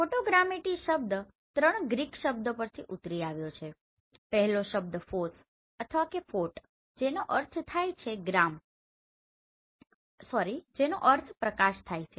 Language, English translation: Gujarati, The photogrammetry term is derived from three Greek words first one is phos or phot that meaning is light